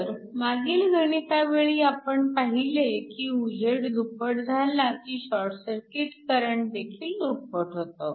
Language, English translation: Marathi, So, in the previous problem, we saw that when the illumination is doubled the short circuit current is essentially doubled